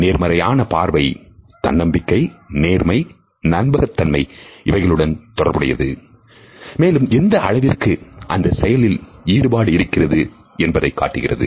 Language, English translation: Tamil, A positive eye contact is related with credibility honesty trustworthiness and it also shows a certain level of interest